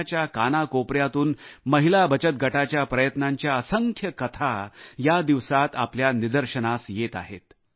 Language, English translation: Marathi, Numerous stories of perseverance of women's self help groups are coming to the fore from all corners of the country